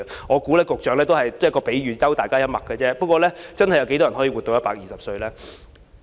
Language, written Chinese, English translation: Cantonese, 我相信局長只是作一個比喻，幽默一下，試問有多少人真的可以活到120歲呢？, I believe the Secretary was only drawing an analogy with humour . After all how many people can really live to the age of 120?